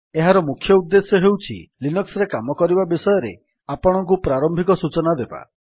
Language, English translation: Odia, The main motivation of this is to give you a head start about working with Linux